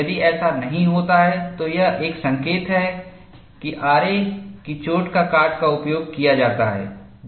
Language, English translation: Hindi, If it does not happen, it is an indication that the saw cut which is used is not desirable